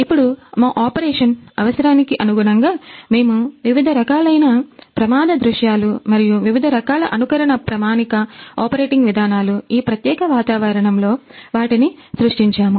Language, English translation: Telugu, Then according to our operation; according to our requirement we created different kinds of accident scenarios and different kind of simulation standard operating procedures those are followed inside this particular environment